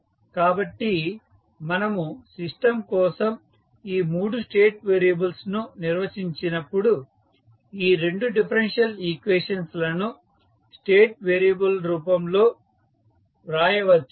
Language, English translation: Telugu, So, when we define these 3 state variables for the system we can write these 2 differential equation in the form of the state variable